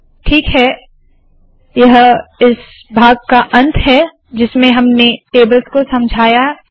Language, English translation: Hindi, Alright, this comes to the end of this part in which we explained tables